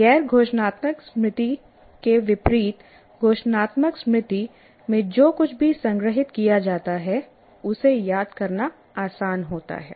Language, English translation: Hindi, So, whereas unlike non declarative memory, the declarative memory, it is easy to recall the whatever that is stored in the declarative memory